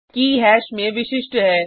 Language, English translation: Hindi, Key in hash is unique